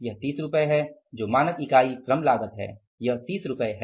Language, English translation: Hindi, Standard unit labor cost is rupees 30